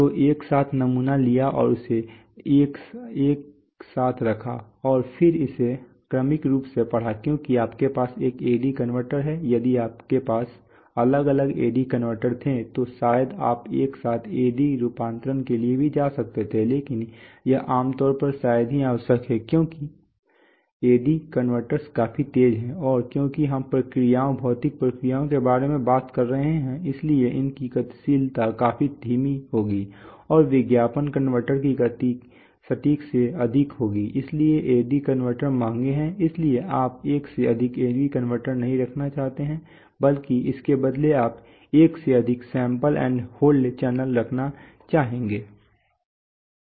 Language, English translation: Hindi, So the sampled simultaneously and held it simultaneously and then read it serially because you are having one AD converter, if you had different AD converters then probably you could have gone for simultaneous AD conversion also but that is generally hardly necessary because the AD converters are quite fast and because we are talking about processes, physical processes, so their dynamics would be complete quite slow and the ad converter speed is more than accurate so you and AD converter is expensive, so you don’t want to have more than one AD converters rather than have more than one sample and hold channels right, for simultaneous